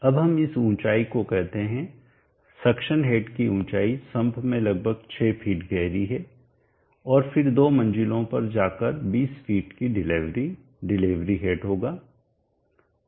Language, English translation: Hindi, Now let us say this height, the suction head of height is around 6 feet deep into the sum tank, and then going up close to two floors would be 20 feet delivery head